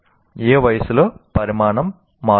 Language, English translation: Telugu, At what age the size will change